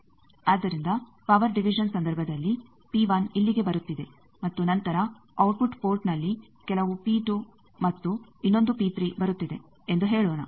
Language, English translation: Kannada, So, in case of power division let us say P 1 is coming here and then at output port some P 2 and another P 3 is coming